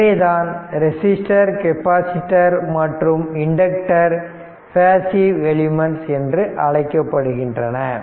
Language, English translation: Tamil, Therefore, thus like capacitor resistor capacitors and inductors are said to be your passive element right